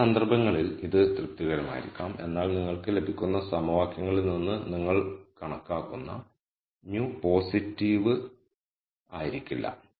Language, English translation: Malayalam, And in some cases this might be satisfied, but the mu that you calculate out of the equations you get might not be positive